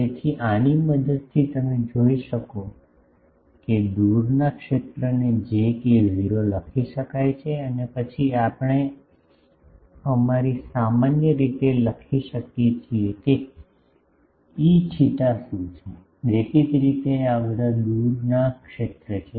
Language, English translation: Gujarati, So, with the help of this you can see that the far field can be written as j k not and then we can write in our usual way, what is E theta far; obviously, these are all far field